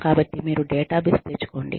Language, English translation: Telugu, So, you get the database